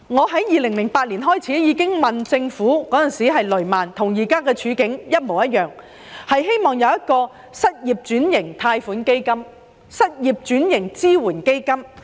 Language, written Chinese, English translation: Cantonese, 在2008年，發生雷曼事件，當時的情況與現時一模一樣，我當時希望政府設立失業轉型貸款基金、失業轉型支援基金。, The situation nowadays is the same as that in 2008 when the Lehman Brothers incident took place . Back then I called on the Government to introduce a loan fund for occupation switching for the unemployed and a support fund for occupation switching for the unemployed